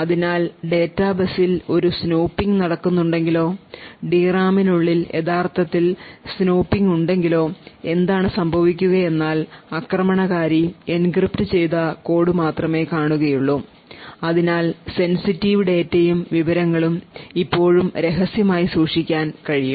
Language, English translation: Malayalam, So thus, if there is a snooping done on the data bus or there is actually snooping within the D RAM then what would happen is that the attacker would only see encrypted code and the sensitive data and information is still kept secret